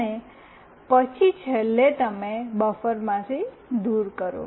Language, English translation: Gujarati, And then finally, you remove from the buffer